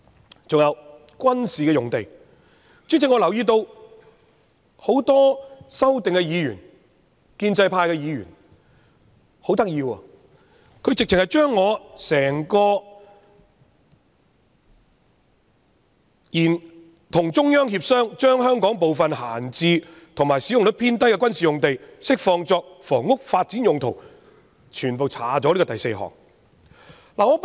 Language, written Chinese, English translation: Cantonese, 此外，主席，在軍事用地方面，我留意到很多提出修正案的建制派議員很有趣，把我的議案第四點有關"與中央政府協商，將香港部分閒置或使用率偏低的軍事用地釋放作房屋發展用途"的內容刪去。, Moreover President as regards military sites I find it interesting that a number of amendment movers from the pro - establishment camp have deleted the fourth point that reads to negotiate with the Central Government for releasing certain idle or under - utilized military sites in Hong Kong for housing development purpose in my motion